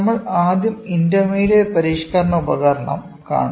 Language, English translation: Malayalam, We will today try to cover intermediate modifying device